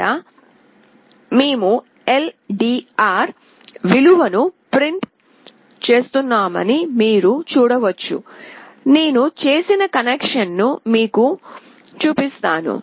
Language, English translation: Telugu, This is where you can see that we are printing the value of LDR, I will show you the connection that I have made